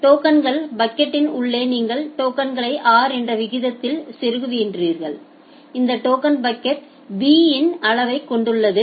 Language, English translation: Tamil, Inside the token bucket, you are inserting the tokens at a rate of r and this token bucket also have a size of b